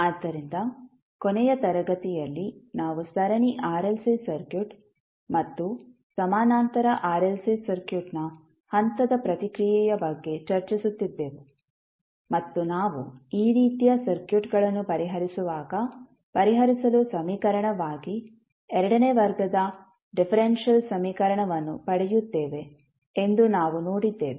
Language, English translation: Kannada, So, in the last class we were discussing about the step response of series RLC circuit and the parallel RLC circuit and we saw that when we solve these type of circuits we get second order differential equation as a equation to solve